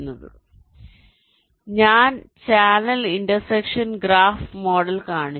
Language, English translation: Malayalam, so i have shown the channel intersection graph model